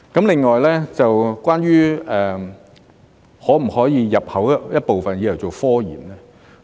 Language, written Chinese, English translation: Cantonese, 另外，關於可否入口一部分用作科研呢？, Besides can some products be imported for research and development RD purpose?